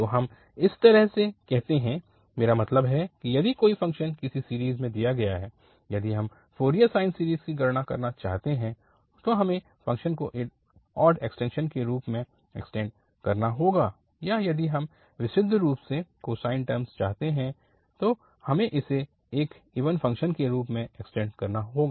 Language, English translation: Hindi, So that is how we, I mean given a function in a range, now if you want to compute the Fourier sine series, we have to just extend this function as an odd extension or if we want to have purely cosine terms, we have to extend this as an even function